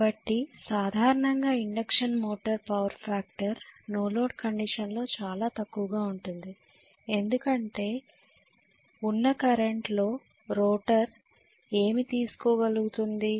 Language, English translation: Telugu, So normally induction motor power factor is going to be very bad during no load condition because what I carry, what the rotor carry